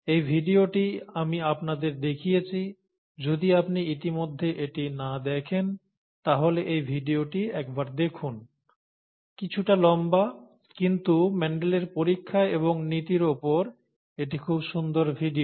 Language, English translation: Bengali, I had pointed out I had pointed this video to you, please take a look look at this video, if you have not already done so; slightly longish, but a very nice video on Mendel’s experiments and principles